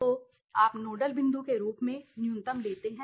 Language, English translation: Hindi, So, you take the minimum value as the nodal point her okay